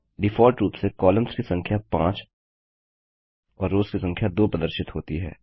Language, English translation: Hindi, By default, Number of columns is displayed as 5 and Number of rows is displayed as 2